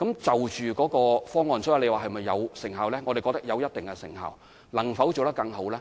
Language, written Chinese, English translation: Cantonese, 至於這方案有否具成效，我們覺得有一定的成效；至於能否做得更好？, As to whether this measure will be effective we consider that it will yield certain results